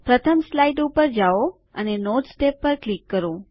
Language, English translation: Gujarati, Lets go to the first slide and click on the Notes tab